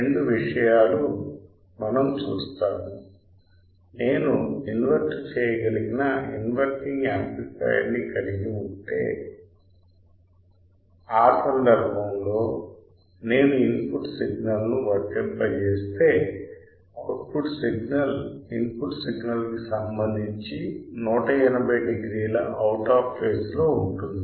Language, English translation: Telugu, two things we are seen incorrect; then we have seen that if I have an amplifier which is an inverting amplifier, in that case if I apply an input signal the output signal will be out of phase with respect to input signal that is 180 degree out of phase